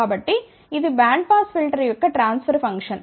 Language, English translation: Telugu, So, that is the transfer function of bandpass filter